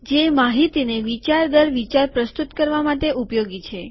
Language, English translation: Gujarati, Which is useful to present information concept by concept